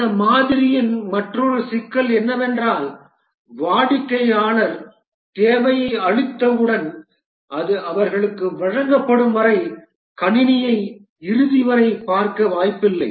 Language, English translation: Tamil, Another problem with this model is that once the customer gives the requirement they have no chance to see the system till the end when it is delivered to them